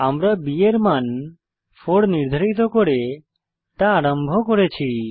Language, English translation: Bengali, We have initialized b, by assigning a value of 4 to it